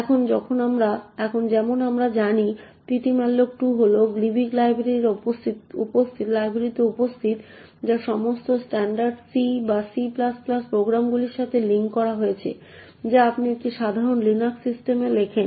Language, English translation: Bengali, Now as we know ptmalloc2 is present in the gilibc library which is linked with all standard C or C++ programs that you write on a typical Linux system